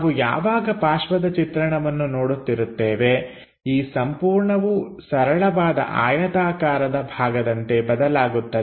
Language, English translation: Kannada, When we are looking side view, this entire thing turns out to be a simple rectangular block